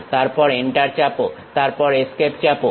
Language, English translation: Bengali, Then press Enter, then press Escape